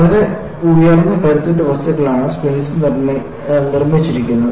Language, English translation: Malayalam, Springs are made of very high strength material